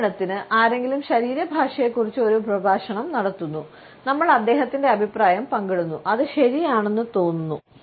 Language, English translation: Malayalam, For example, someone is holding a lecture about body language and we share his opinion hmm, that seems about right